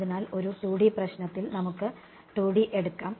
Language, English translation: Malayalam, So, in a 2 D problem let us take 2 D